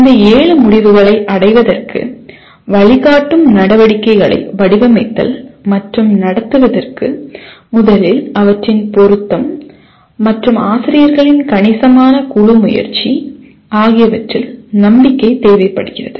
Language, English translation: Tamil, And designing and conducting instructional activities to facilitate attainment of these seven outcomes first requires belief in their relevance and considerable group effort by faculty